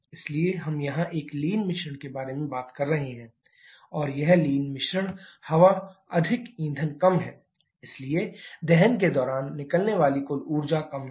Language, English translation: Hindi, So, we are talking about a lean mixture here and this lean mixture air is more fuel is less so the total energy released during combustion is less